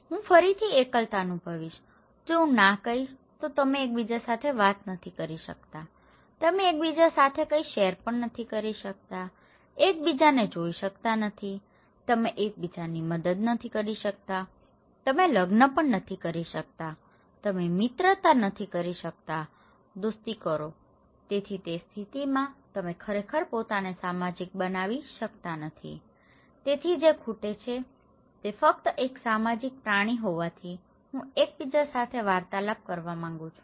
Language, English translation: Gujarati, I will again feel isolated, if I say no, you cannot talk to each other, you cannot share anything with each other, you cannot look at each other, you cannot help each other, you cannot marry, you cannot develop friendship; make friendship so, in that condition; in that conditions you cannot really make yourself social so, what is missing is that simply being a social animal, I want interactions with each other